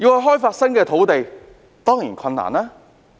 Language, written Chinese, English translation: Cantonese, 開發新的土地當然困難。, Developing new land is certainly a difficult task